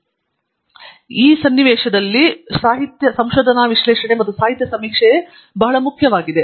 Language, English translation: Kannada, So, in the context of a research thesis also research analysis and literature survey is very important